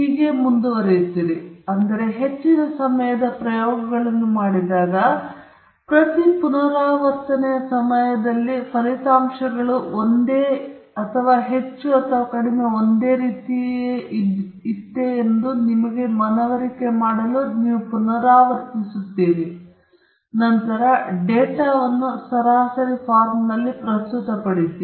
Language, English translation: Kannada, So, when you do experiments most of the time you do repeats just to convince yourself that the results are pretty much the same or more or less the same during each repeat, and then, you present the data in an average form